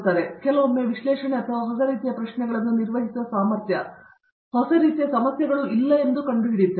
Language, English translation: Kannada, So we find out that sometimes that analysis or the ability to handle new type of questions, new type of problems is lacking